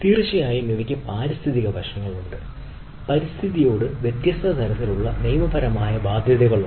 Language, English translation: Malayalam, there is a definitely environmental aspects and there are different type of legal ah obligations